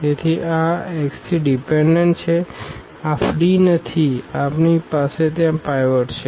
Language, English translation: Gujarati, So, this x 3 is dependent, this is not free we have the pivot there